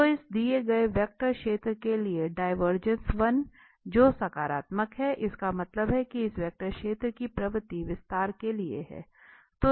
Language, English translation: Hindi, So, we have the divergence for this given vector field is 1, which is positive that means, the tendency of this vector field is for the expansion